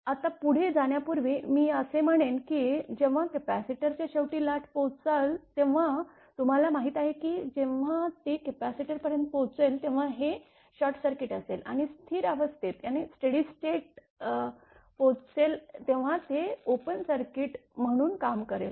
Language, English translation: Marathi, Now, before proceeding further I mean I will come to that when the wave will reach at the end of this your what you call at the capacitor end, at that time you know that when it reaches capacitor will be where this short circuit right and when it will reach the steady state it will act as open circuit